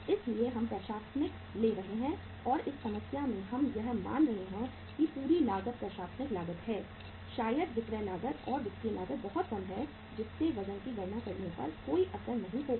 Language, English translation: Hindi, So uh administration we are taking and in this problem we are assuming that entire cost is the administrative cost maybe the selection of selling and the financial cost is very very small so which will not impact your say calculating the weights